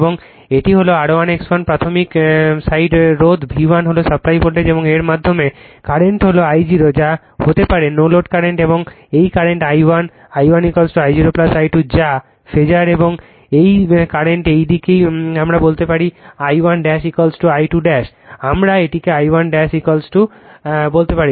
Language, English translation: Bengali, And this this is R 1 X 1 the primary side resistance V 1 is the supply voltage, and current through this is I 0 that is your may your what you call that is your no load current and this current I 1, I 1 is equal to I 0 plus I 2 dash that is phasor, right